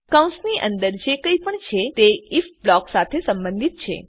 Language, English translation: Gujarati, Whatever is inside the brackets belongs to the if block